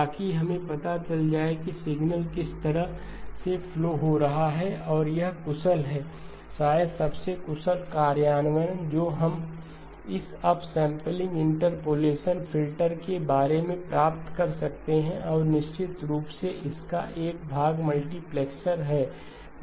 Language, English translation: Hindi, So that we know which way the signal is flowing and this is the efficient, probably the most efficient implementation that we can get of this up sampling interpolation filter and of course this portion of it is a multiplexer